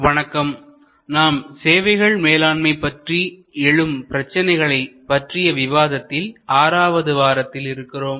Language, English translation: Tamil, Hello, so we are now in week 6 of our interaction on Managing Services contemporary issues